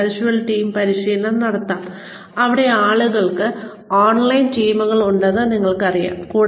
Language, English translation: Malayalam, we can have virtual team training also, where people, you know, have teams online